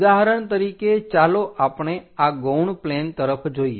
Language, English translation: Gujarati, For example, let us look at this auxiliary planes